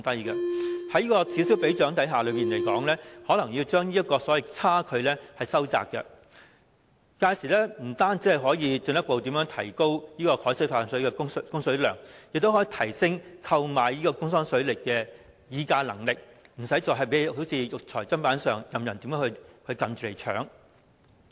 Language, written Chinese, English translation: Cantonese, 在此消彼長的情況下，這個差距可能會收窄，屆時不單可以進一步提高海水化淡水的供水量，亦可以提升購買東江水的議價能力，不會再如肉隨砧板上，任人宰割。, With the increased prices of Dongjiang water and reduced costs of desalinated water the cost difference may be narrowed . By then not only can we further increase the water supply capacity of the desalination plant our bargaining power in negotiating for better terms regarding the purchase of Dongjiang water will also be enhanced and we will no longer be subjected to exploitation without any alternatives